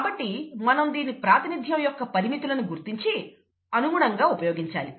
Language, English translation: Telugu, Therefore we will realize the limitations of its representation, and use it appropriately